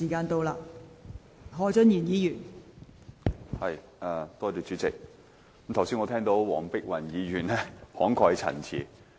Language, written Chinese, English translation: Cantonese, 代理主席，我剛才聽到黃碧雲議員慷慨陳詞。, Deputy President just now Dr Helena WONG has spoken passionately